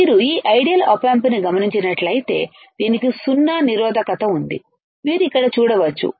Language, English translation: Telugu, You have to we have to see this ideal op amp; it has zero zero resistance, you can see here